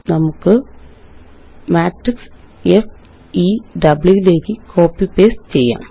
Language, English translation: Malayalam, Let me copy the matrix and paste it in FEW